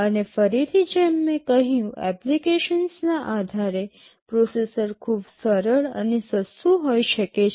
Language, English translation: Gujarati, And again just as I said depending on the application, processor can be very simple and inexpensive